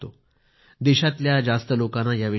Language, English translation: Marathi, Not many people in the country know about this